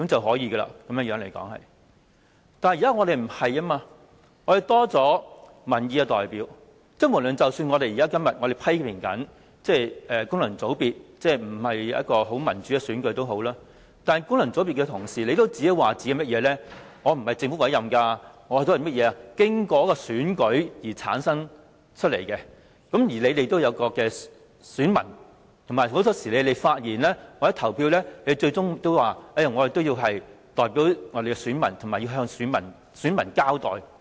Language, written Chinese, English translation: Cantonese, 可是，現時的情況已經改變，議會增加了民意代表，即使我們今天仍然批評功能界別議員不是民主選舉產生，但功能界別議員也會說自己並非由政府委任，而是經過選舉產生，他們也有選民，在發言或投票時，他們也會反映選民意向及向選民交代。, However the present situation has changed . There are now more Members representing the people in this Council . Today despite the fact that functional constituency Members are still criticized for not returning by democratic election they will say that they are not appointed by the Government and they are returned by elections in their respective constituencies; and they will reflect the views of their constituents and be accountable to them when they speak or vote